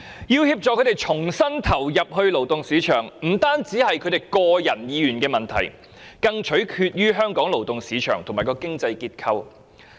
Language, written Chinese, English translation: Cantonese, 要協助他們重新投入勞動市場，不僅關乎他們的個人意願，更取決於香港的勞動市場及經濟結構。, Whether they can rejoin the workforce depends not only on their own will but also on Hong Kongs labour market and economic structure